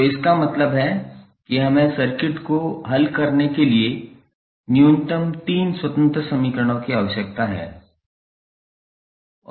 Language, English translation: Hindi, So, that means that we need minimum three independent equations to solve the circuit